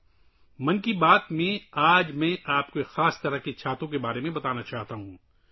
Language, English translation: Urdu, Today in ‘Mann Ki Baat’, I want to tell you about a special kind of umbrella